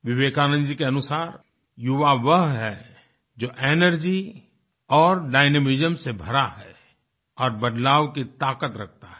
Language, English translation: Hindi, According to Vivekanand ji, young people are the one's full of energy and dynamism, possessing the power to usher in change